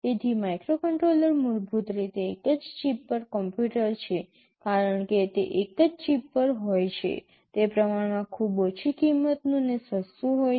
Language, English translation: Gujarati, So, a microcontroller is basically a computer on a single chip, because it is on a single chip it is relatively very low cost and inexpensive